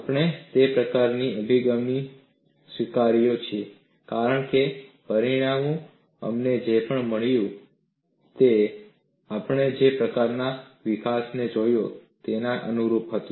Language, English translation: Gujarati, We have accepted that kind of an approach, because the results whatever that we have got were in tune with the kind of developments that we have seen